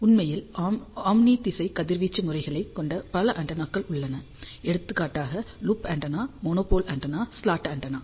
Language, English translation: Tamil, In fact, there are many other antennas which also have omni directional radiation pattern, for example, loop antenna, monopole antenna, slot antenna